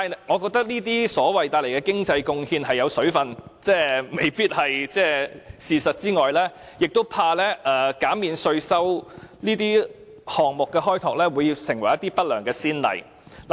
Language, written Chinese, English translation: Cantonese, 我覺得除了這些經濟貢獻不盡不實之外，亦擔心減免這些項目的稅收，會成為不良的先例。, Besides questioning the economic benefits I also fear that the proposed tax concession may set a bad precedent